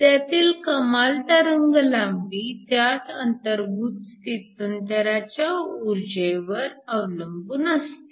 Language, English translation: Marathi, So, The maximum wavelength depended upon the energy of the transition that was involved